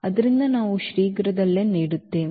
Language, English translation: Kannada, So, that we will shortly now give